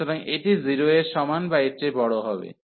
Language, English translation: Bengali, So, this is greater than equal to 0